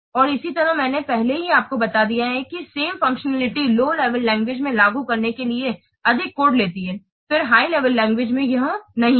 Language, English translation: Hindi, And similarly what this I have already told you, the same functionality takes more code to implement in a low level language than in a high level language, isn't it